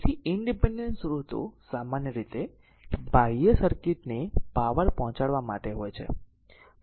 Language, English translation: Gujarati, So, independent sources are usually meant to deliver power to the, your external circuit